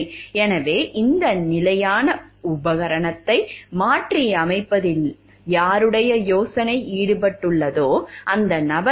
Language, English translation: Tamil, So, whether who was the person, whose idea was involved over in this adaptation of the standard piece of equipment